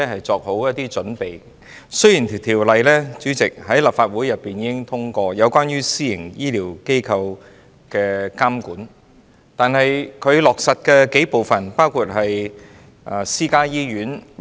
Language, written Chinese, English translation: Cantonese, 主席，雖然立法會已經通過關於監管私營醫療機構的條例，但在落實方面，包括私家醫院......, President although the Legislative Council has passed the legislation on monitoring private health care facilities in terms of implementation such as in private hospitals